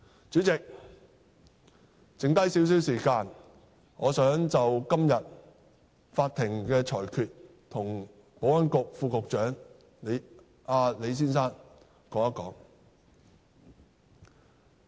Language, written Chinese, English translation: Cantonese, 主席，還剩下少許時間，我想就今天法院的裁決向保安局副局長李先生表達一下意見。, President as I still have some time left I would like to express some views to Mr LEE Under Secretary for Security on the verdict made by the Court today